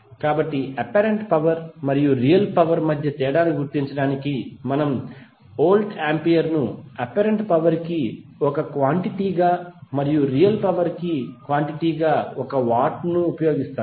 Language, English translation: Telugu, So just to differentiate between apparent power and the real power we use voltampere as a quantity for apparent power and watt as quantity for real power